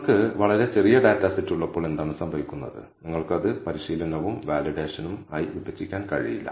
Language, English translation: Malayalam, What happens when you have extremely small data set and you cannot divide it into training and validation set